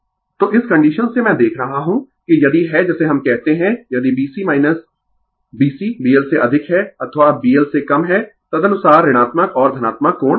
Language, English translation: Hindi, So, from this condition I see that ifyou are your what we call if B Cminus your B C greater thanB L or less than B L accordingly negative and positive angle will come right